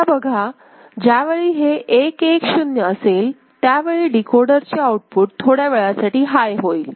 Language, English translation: Marathi, Now, whenever these 1 1 0 is there ok, so this logic decoding out, decoder output will go high for a brief period ok